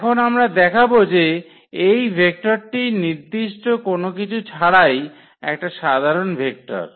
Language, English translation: Bengali, We will show that this vector which is a general vector from this R 3 without any restriction